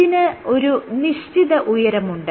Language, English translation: Malayalam, So, this has a given height